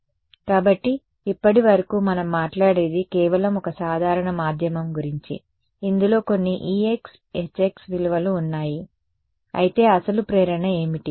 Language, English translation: Telugu, So, so far what we spoke about was just a simple one medium right in which it has some values of e x e y e z h x xyz, but what was our original motivation